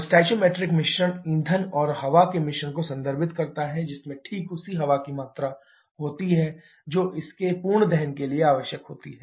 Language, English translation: Hindi, The stoichiometric mixture refers to a mixture of fuel and air which contains exactly the same amount of air that is required for its complete combustion